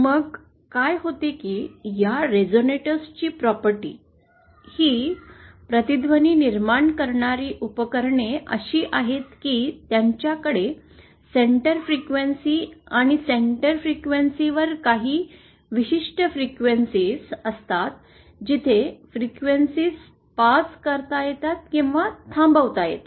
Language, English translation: Marathi, Then what happens is that the property of these resonators, that is the devices which create this resonance is such that they have a centre frequency and a certain range of frequencies are about the Centre frequencies where the frequencies can be passed or stopped